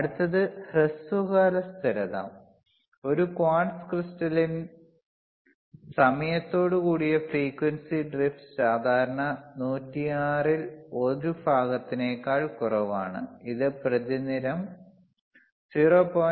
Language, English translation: Malayalam, Sshort term stability, in a quartz crystal the frequency drift with time is typically less than 1 part in 10 to the power 6, 1 part in 10 to the power 6which is 0